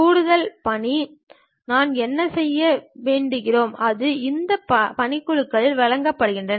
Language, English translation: Tamil, And additional task what we would like to do, that will be given at this task pan